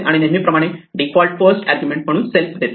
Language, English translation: Marathi, And as usual we are always providing self as the default first argument